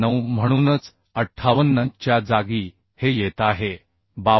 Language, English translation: Marathi, 9 that is why in place of 58 this is coming 52